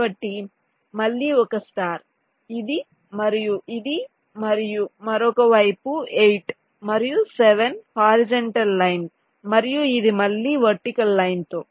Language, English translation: Telugu, so again a star, this and this, and the other side, eight and seven, where horizontal line, and this again with the vertical line